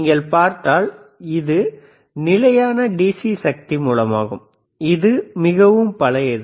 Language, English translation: Tamil, If you see, this is fixed DC power source and this is extremely old